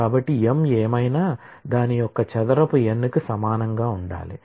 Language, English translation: Telugu, So, whatever m is that square of it must equal n